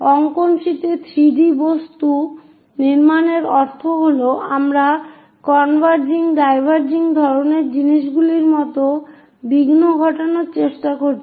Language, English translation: Bengali, Constructing 3 D objects on drawing sheets means we are going to induce aberrations like converging diverging kind of things